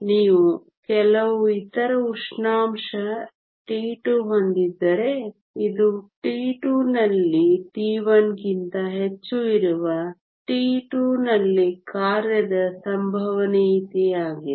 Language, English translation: Kannada, If you have some other temperature t 2, this is the occupation probability at t 2 where t 2 is more than t 1